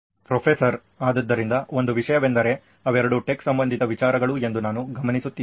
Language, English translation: Kannada, So one thing is also I am noticing that they both are tech related ideas